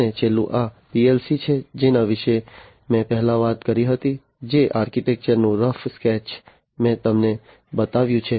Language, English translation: Gujarati, And the last one is this PLC that I talked about before, the architecture of which the rough sketch of the architecture of which I have shown you